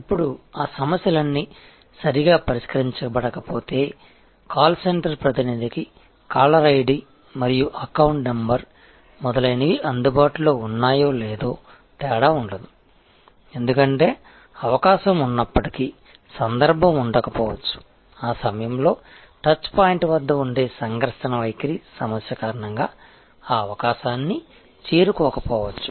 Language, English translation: Telugu, Now, of if all those issues have not been properly addressed, then whether the caller id and account number etc are available to the call center representative or not, will not make of a difference, because there even though the possibility exists, the occasion may not approach that possibility, because of the conflict attitudinal problem that may be at the touch point during that moment of truth